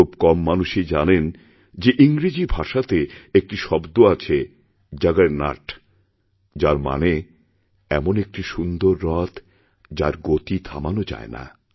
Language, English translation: Bengali, But few would know that in English, there is a word, 'juggernaut' which means, a magnificent chariot, that is unstoppable